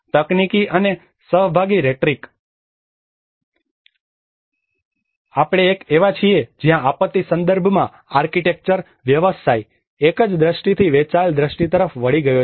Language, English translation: Gujarati, Technocracy and participatory rhetoric; We are living in a generation where the architecture profession in the disaster context has moved from a singular vision to a shared vision